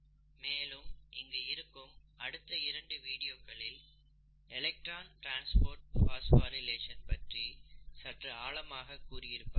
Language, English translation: Tamil, And you could look at these 2 videos to get some more insights about electron transport phosphorylation, okay